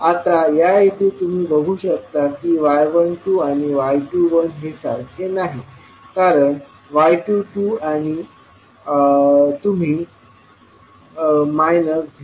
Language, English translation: Marathi, Now in this case if you see y 12 is not equal to y 21 because y 12 you have calculated as minus of 0